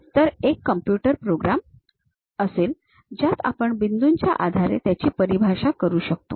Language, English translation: Marathi, So, there will be a computer program where we we will define based on the points